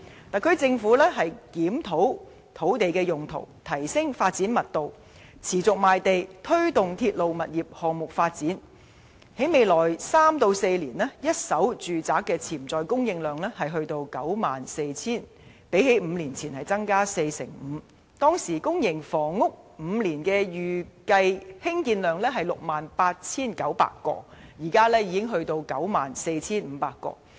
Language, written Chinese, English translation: Cantonese, 特區政府檢討土地用途、提升發展密度、持續賣地、推動鐵路物業項目發展，在未來三四年，一手住宅的潛在供應量將達 94,000 個，較5年前增加 45%； 當時公營房屋的5年預計興建量只是 68,900 個，現時已增加至 94,500 個。, With the SAR Governments review of land use increase in development intensity continuous land sale and promotion of railway property development it is projected that the potential supply of first - hand residential properties will reach 94 000 units in the upcoming three to four years increasing by 45 % as compared to five years ago; the estimated public housing production for five years was only 68 900 units than but the number has increased to 94 500 units today